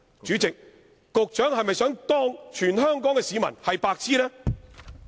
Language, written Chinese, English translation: Cantonese, 主席，局長是否想把全港市民當作"白癡"？, President does the Secretary intend to treat all Hong Kong people as idiots?